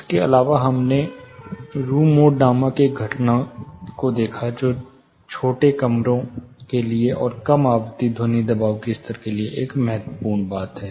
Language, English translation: Hindi, Apart from that we looked at a phenomenon called room mode, which is a crucial thing for smaller rooms, and in low frequency sound pressure levels